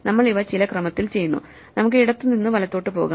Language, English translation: Malayalam, So, we do these in some order; let us go left to right